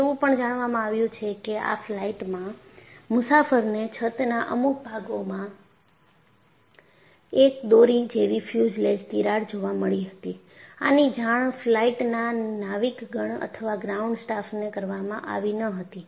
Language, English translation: Gujarati, And in fact, even before for that flight, it appearsthat a passenger had noticed there a longitudinal fuselage crack in some portion of the roof; however, it was not communicated to flight crew or ground staff